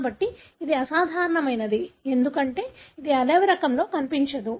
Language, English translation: Telugu, So, but it is abnormal because it is not seen in the wild type